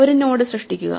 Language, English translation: Malayalam, Let us add another node